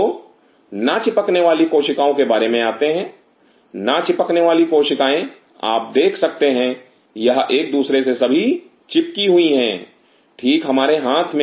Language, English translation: Hindi, So, flocking about Non adhering cells; adhering cells you could see these are all adhered to each other right in our hand